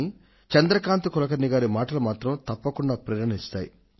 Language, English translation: Telugu, While thinking of Chandrkant Kulkarni, let us also follow him